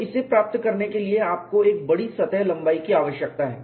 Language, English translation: Hindi, So, for it to attain this, you need to have a long surface length